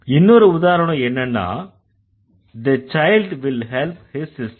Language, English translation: Tamil, The other example, let's say the child will, the child will help his sister